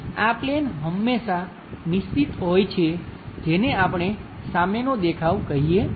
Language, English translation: Gujarati, So, this plane is always fixed which we call front view